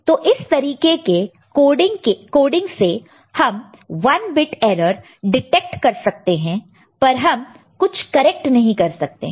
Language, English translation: Hindi, So, with this kind of coding we can detect 1 bit error, but we cannot correct any, right